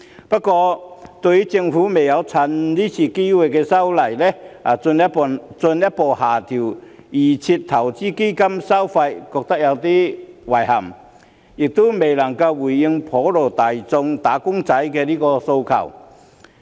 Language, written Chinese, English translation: Cantonese, 不過，對於政府未有藉今次修例的機會，進一步下調預設投資策略成分基金的收費，我感到有點遺憾，這亦未能回應普羅"打工仔"的訴求。, Yet I find it somewhat regrettable that the Government has not taken the opportunity of this legislative amendment exercise to further reduce the fees of the constituent funds under the Default Investment Strategy DIS . It has also failed to address the aspirations of wage earners at large